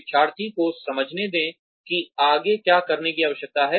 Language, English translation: Hindi, Let the learner understand, what needs to be done next